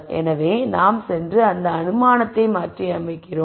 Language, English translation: Tamil, So, we go and modify that assumption